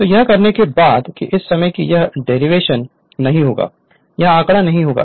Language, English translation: Hindi, So, after saying this I will come to derivation at that time I will not come to this figure